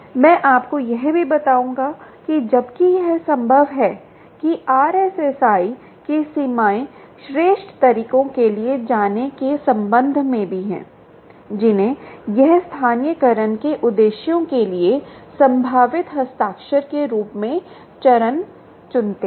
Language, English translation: Hindi, ok, ah, i will also tell you that, while it is possible, what the limitations of r s s i are, also with respect to going in for superior methods, we choose phase as a possible signature for purposes of localization